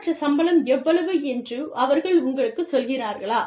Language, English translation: Tamil, Do they tell you, what is the minimum salary, or not, etcetera